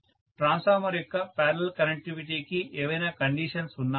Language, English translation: Telugu, Is there any condition for parallel connectivity of transformer